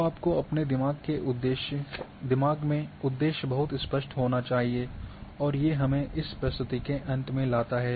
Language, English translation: Hindi, So, the purpose should be very clear should be kept in your mind, and this brings to end of this presentation